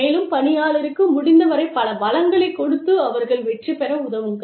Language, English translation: Tamil, And, give the employee, as many resources as possible, and help the employee, succeed